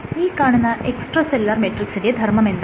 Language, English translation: Malayalam, So, what are some of the functions of extracellular matrix